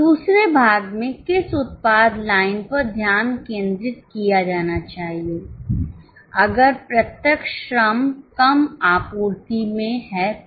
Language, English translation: Hindi, In second part, which product line should be focused if direct labor is in short supply